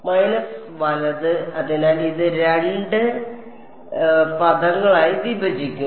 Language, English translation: Malayalam, Minus right; so, this will split into two terms